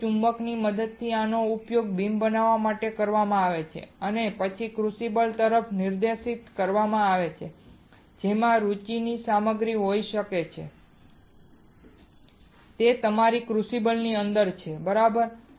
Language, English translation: Gujarati, Here with the help of magnets these are used to form a beam and then a directed towards a crucible that contains the materials of material of interest is within your crucible within your crucible, right